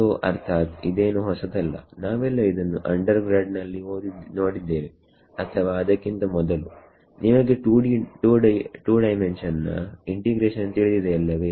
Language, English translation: Kannada, So, I mean this is nothing new we have all seen this in undergrad maybe even before undergrad when you how do how to do 2 dimensional integration